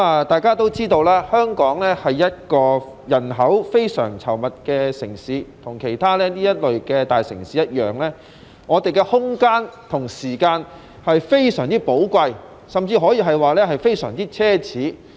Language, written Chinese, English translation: Cantonese, 大家也知道，香港是一個人口非常稠密的城市，與其他大城市一樣，空間和時間也非常寶貴，甚至可以說是非常奢侈。, As we all know Hong Kong is a very densely populated city and like other metropolises space and time are so precious that they can even be described as luxury